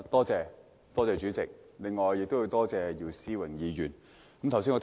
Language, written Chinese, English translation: Cantonese, 主席，我要多謝姚思榮議員提出這議案。, President I have to thank Mr YIU Si - wing for moving this motion